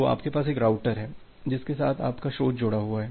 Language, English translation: Hindi, So, you have one router with which your source is getting connected